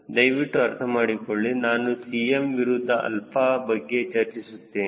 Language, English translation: Kannada, please understand i have working with cm versus alpha